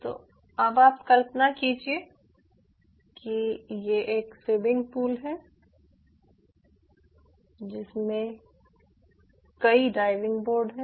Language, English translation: Hindi, so now imagine this as ah swimming pool with multiple diving board boards like this